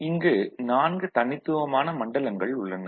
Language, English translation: Tamil, There are 4 distinct zones, ok